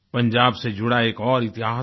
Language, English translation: Hindi, There is another chapter of history associated with Punjab